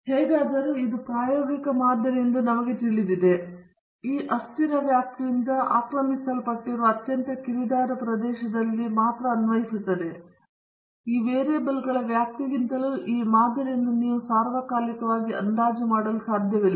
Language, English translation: Kannada, Anyway, we know that this is an empirical model and it is only applicable in the very narrow region occupied by the ranges of these variables; you cannot extrapolate this model all the time beyond the ranges of these variables